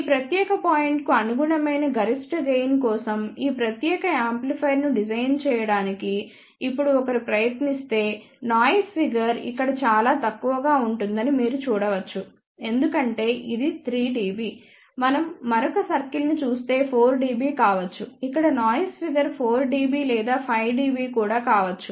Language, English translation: Telugu, If one now tries to design this particular amplifier for maximum gain which will correspond to this particular point you can see that noise figure will be very poor over here because this itself is 3, dB if we look at another circle that may be 4 dB, here noise figure maybe 4 dB or even 5 dB